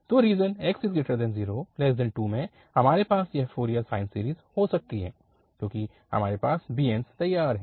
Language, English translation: Hindi, So, in this region, 0 to 2 we can have this Fourier sine series, because we have the bn's ready now